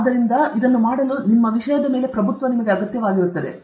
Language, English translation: Kannada, So, to do this, command of our subject is required for this